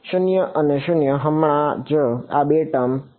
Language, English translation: Gujarati, 0 and 0 right so only these two term survive